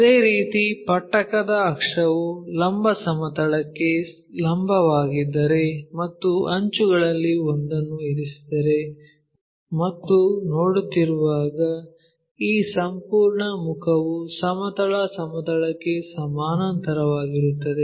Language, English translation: Kannada, Similarly, if prism is prism axis is perpendicular to vertical plane and resting on one of the edge and when we are looking at that this entire face is parallel to horizontal plane